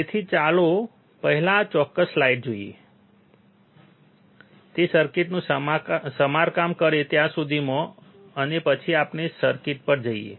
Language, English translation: Gujarati, So, let us see this particular slide first, by the time he repairs the circuit and then we go on the circuit